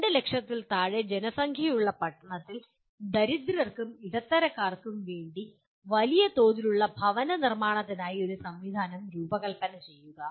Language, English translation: Malayalam, Design a system for construction of large scale poor and middle class housing in town with populations less than 2 lakhs